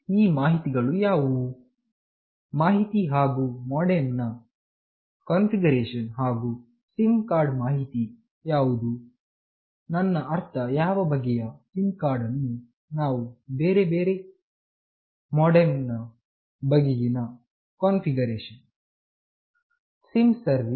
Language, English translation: Kannada, What are the following information, information and configuration pertaining to MODEM and SIM card what is the information, I mean what kind of SIM card we are using about other configuration regarding the MODEM etc